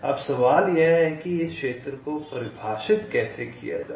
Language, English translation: Hindi, now the question is how to define this regions like